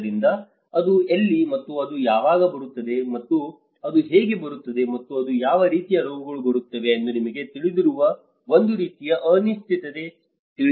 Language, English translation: Kannada, So, that is where and it is a kind of uncertainty you know when it will come and how it will come and what kind of diseases it will come